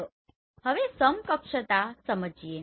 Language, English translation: Gujarati, Now let us understand equivalence